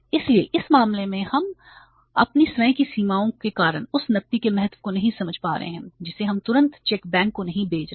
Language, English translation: Hindi, So, in this case we are because of our own limitations and not understanding the importance of the cash, we are not sending the checks immediately to the bank